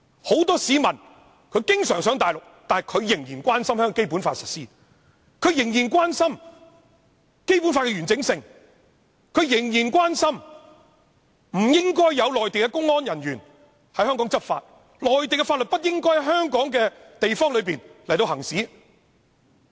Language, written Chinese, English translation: Cantonese, 很多經常往內地的人仍然關心《基本法》的實施、仍然關心《基本法》的完整性、仍然關心不應有內地公安人員在香港執法，內地的法律不應在香港範圍內行使。, Many frequent visitors to the Mainland are likewise concerned about the implementation and integrity of the Basic Law . They likewise think that Mainland public security officers should not engage in any law enforcement in Hong Kong and that Mainland laws should be enforced in Hong Kong